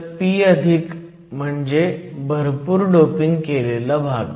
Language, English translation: Marathi, So, p+ refers to a heavily doped region